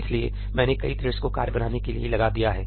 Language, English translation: Hindi, So, I employed multiple threads to create the work